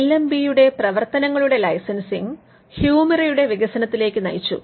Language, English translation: Malayalam, The licensing of LMB’s work led to the development of Humira